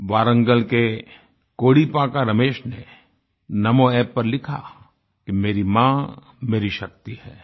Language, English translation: Hindi, Kodipaka Ramesh from Warangal has written on Namo App"My mother is my strength